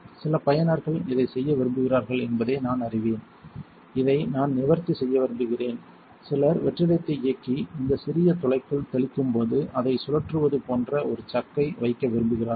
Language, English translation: Tamil, I know some users like to do this and I want to address this, some people like to put a chuck like this on it turn on the vacuum and spin it while spraying into this little hole